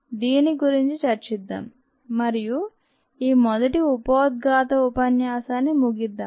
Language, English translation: Telugu, let us discuss this and we will close the introduction lecture